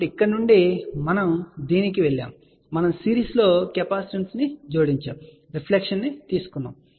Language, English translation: Telugu, So, from here, we went to this, we added a capacitance in series, took a reflection